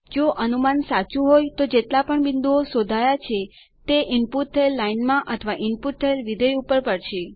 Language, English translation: Gujarati, If the prediction is correct all the points traced will fall on the line that was input or the function that was input